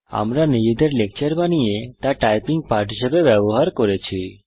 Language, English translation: Bengali, We have created our own lecture and used it as a typing lesson